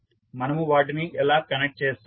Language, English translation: Telugu, How we will connect them